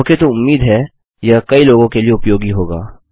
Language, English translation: Hindi, OK so I hope that was useful to a lot of people